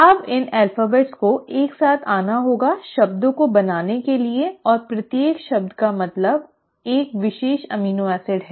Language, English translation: Hindi, Now these alphabets have to come together to form words and each word should mean a particular amino acid